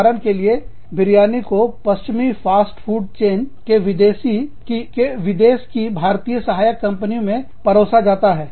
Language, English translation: Hindi, For example, biryani is served, in the Indian subsidiaries, of foreign, of western fast food chains